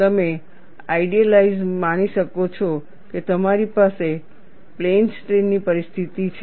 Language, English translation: Gujarati, You could idealize that, you have a plane strain situation exists